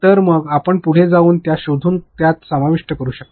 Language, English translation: Marathi, So, then you can go ahead and find that out and include those